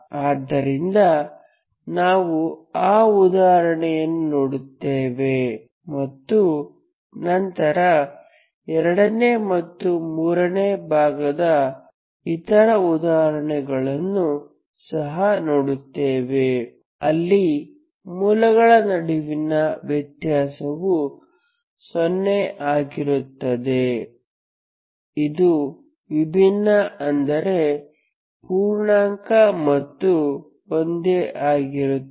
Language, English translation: Kannada, So we will look into that example and then we will see the other examples, these case 2 case 3, where the difference between the roots will be one is not integer, they are distinct but integer and they are same